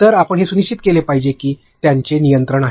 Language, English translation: Marathi, So, you should make sure that they have the control